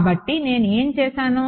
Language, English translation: Telugu, So, what have I done